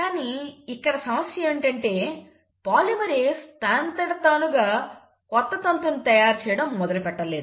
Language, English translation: Telugu, The problem is, polymerase on its own cannot start making a new strand